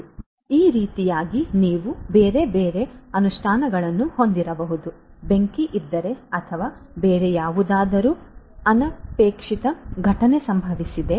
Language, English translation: Kannada, So, like this you could have different other implementations, let us say that if there is a fire if there is a fire or maybe if there is some other event you know undesirable event that has happened